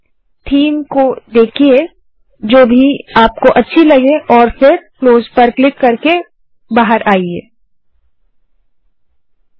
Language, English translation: Hindi, Play with these themes which ever you like and click on close button to exit